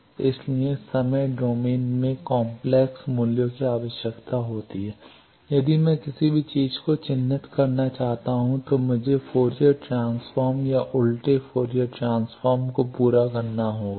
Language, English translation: Hindi, So, that requires complex values in time domain if I want to characterize anything, I need to carry out a Fourier transform or inverse Fourier transform